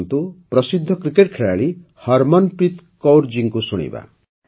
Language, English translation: Odia, Come, now let us listen to the famous cricket player Harmanpreet Kaur ji